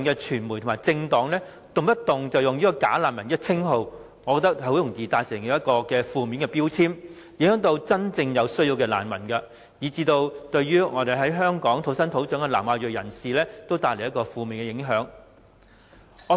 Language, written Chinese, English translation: Cantonese, 傳媒和政黨動輒使用"假難民"一詞，很容易造成負面標籤，對真正有需要的難民，以至在香港土生土長的南亞裔人士也造成負面影響。, The indiscriminate use of bogus refugees by the media and political parties can easily result in a negative labelling effect . It will also leave a negative impact on refugees with a genuine need or even home - grown South Asians